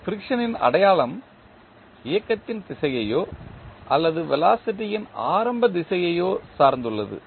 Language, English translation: Tamil, The sign of friction depends on the direction of motion or the initial direction of the velocity